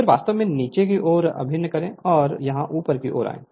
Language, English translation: Hindi, Then we force actually acting downwards here and here it here it is upward right